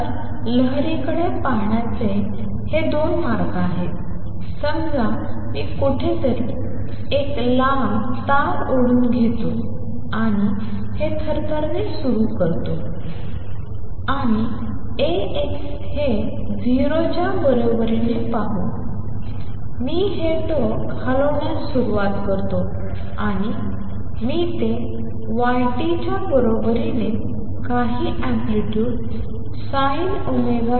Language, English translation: Marathi, So, this is 2 ways of looking at the wave; suppose I take a long strings tide somewhere and start shaking this and let see this is A x equal to 0 and start shaking this end and I start moving it with y t equals some amplitude let us say sin omega t